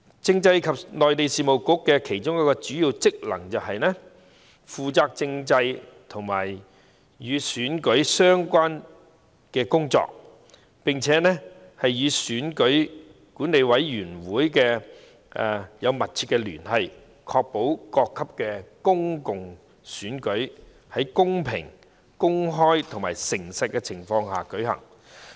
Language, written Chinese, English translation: Cantonese, 政制及內地事務局的其中一項主要職能，是負責政制和與選舉安排有關的工作，並與選舉管理委員會緊密聯繫，確保各級公共選舉在公平、公開和誠實的情況下舉行。, A major function of the Constitutional and Mainland Affairs Bureau is to handle constitutional and election - related matters and maintain close liaison with the Electoral Affairs Commission to ensure that public elections at various levels are conducted in a fair open and honest manner